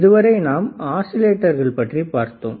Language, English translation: Tamil, So, until now we have seen what are the oscillators